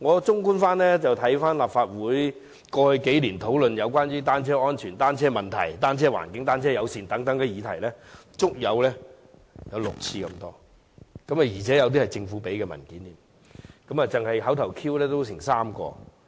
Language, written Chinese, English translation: Cantonese, 綜觀立法會過去幾年對有關單車安全、單車問題、踏單車的環境、單車友善等議題的討論，足有6次之多，而且涉及政府提供的文件，單是口頭質詢也有3項。, Overall speaking in the past there have been six discussions on similar topics such as safety of bicycles bicycle issues cycling environment and bicycle - friendliness in the Legislative Council which involved papers provided by the Government . For oral questions alone there were three